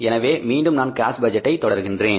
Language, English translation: Tamil, So, again I am continuing with the cash budget